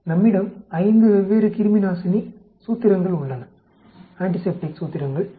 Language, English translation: Tamil, We have 5 different antiseptic formulations